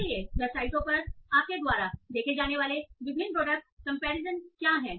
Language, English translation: Hindi, So, what are the different product comparison do you see on the websites